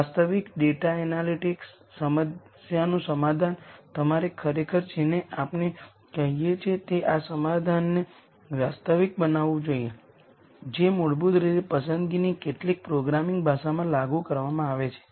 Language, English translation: Gujarati, In an actual data analytics problem solution, you have to actually what we call as actualize this solution which is basically implemented in some programming language of choice